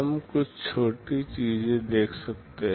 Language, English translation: Hindi, We can see some smaller things